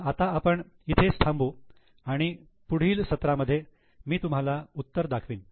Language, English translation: Marathi, So, we'll stop here and in the next session I'll be showing you the solution